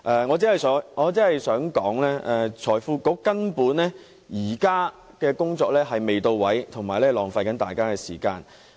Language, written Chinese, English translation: Cantonese, 我只想指出，財經事務及庫務局現時的工作根本未到位，是浪費大家的時間。, I only wish to point out that the current effort of the Financial Services and the Treasury Bureau is simply not to the point and wasting our time